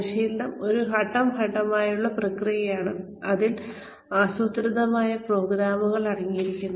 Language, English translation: Malayalam, Training is a, step by step process, in which, it consists of planned programs